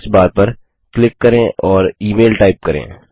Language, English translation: Hindi, Click on the search bar and type email